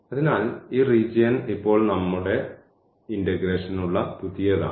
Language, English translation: Malayalam, So, this region now is the new one for our integration, ok